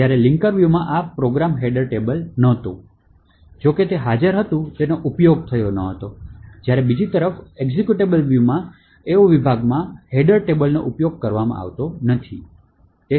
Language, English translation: Gujarati, While in the linker view this program header table was not, although it was present, it was not used, while in the executable view on the other hand, they section header table is not used